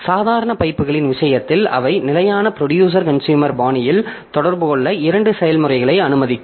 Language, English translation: Tamil, So, in case of ordinary pipes, they will allow two processes to communication in common to communication in standard producer consumer style